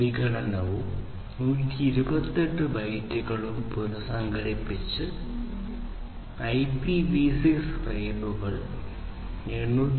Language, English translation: Malayalam, Using fragmentation and reassembly 128 byte IPv6 frames are transmitted over 802